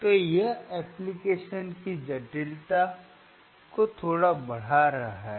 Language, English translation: Hindi, So, this is little bit increasing the complexity of the application